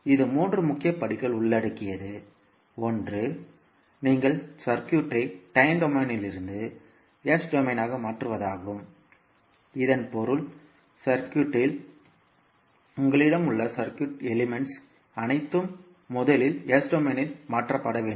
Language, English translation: Tamil, It actually involves three major steps, one is that you transform the circuit from time domain to the s domain, it means that whatever the circuit elements you have in the electrical circuit all will be first transformed into s domain